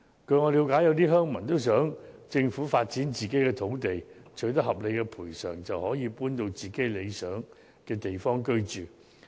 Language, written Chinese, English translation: Cantonese, 據我了解，有些鄉民也想政府發展自己的土地，待取得合理賠償後便可搬到理想的地方居住。, As far as I understand some villagers also want the Government to develop their land so that they can move to a more desirable living place after being reasonably compensated